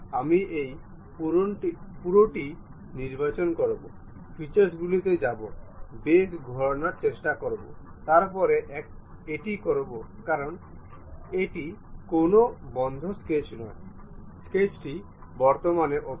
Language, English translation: Bengali, I will select this entire one, go to features, try to revolve boss base, then it says because it is not a closed sketch, the sketch is currently open